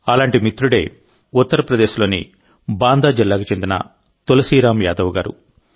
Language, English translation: Telugu, One such friend is Tulsiram Yadav ji of Banda district of UP